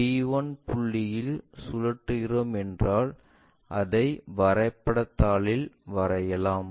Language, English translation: Tamil, If we are rotating around d 1 point, is more like let us locate on the drawing sheet